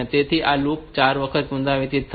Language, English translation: Gujarati, So, this loop will be repeated 4 times